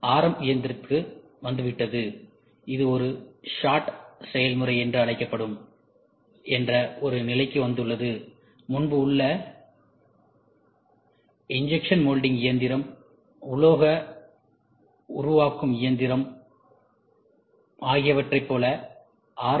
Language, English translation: Tamil, So, it has come to RM machine has come today to a level that it is called as one shot process, like earlier we used to call injection molding machine, metal forming machine